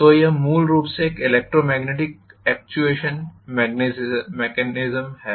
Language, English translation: Hindi, So this is essentially an electromagnetic actuation mechanism